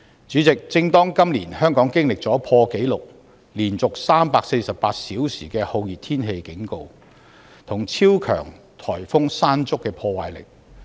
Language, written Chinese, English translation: Cantonese, 主席，香港今年經歷了破紀錄、連續348小時的酷熱天氣警告，以及超強颱風山竹的破壞。, President Hong Kong has experienced the issuance of a Very Hot Weather Warning for a record - breaking number of 348 consecutive hours as well as the onslaught of super typhoon Mangkhut this year